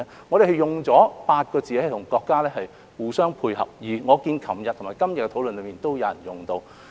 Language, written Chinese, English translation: Cantonese, 我們用了8個字和國家互相配合，而我看到昨天和今天的討論上亦有議員用到。, At that time we tried to dovetail with the country with one policy and I notice that some Members also touched on it yesterday and today